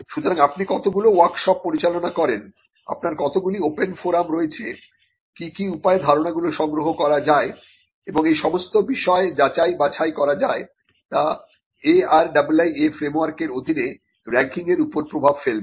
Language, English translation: Bengali, So, how many workshops you conduct, how many forums open forums you have, what are the ways in which ideas can be collected and verified and scrutinized all these things would affect the ranking under the ARIIA framework